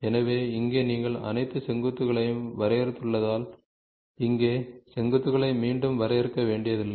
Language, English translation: Tamil, So, here because you have defined all the vertices you do not have to define once again the vertices here